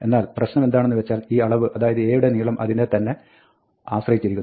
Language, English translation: Malayalam, But, the problem is that, this quantity, the length of A, depends on A itself